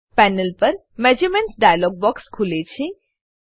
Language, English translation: Gujarati, Measurements dialog box opens on the panel